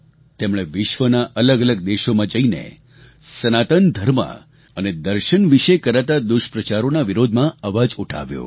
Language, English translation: Gujarati, She travelled to various countries and raised her voice against the mischievous propaganda against Sanatan Dharma and ideology